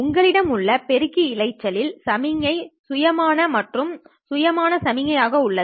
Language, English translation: Tamil, In the amplifier noise you have signal spontaneous and spontaneous spontaneous spontaneous